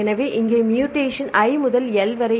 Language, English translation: Tamil, So, here the mutation is I to L right